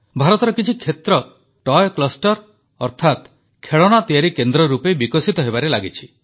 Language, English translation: Odia, Some parts of India are developing also as Toy clusters, that is, as centres of toys